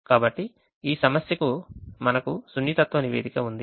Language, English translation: Telugu, so we have a sensitivity report for this problem which i have got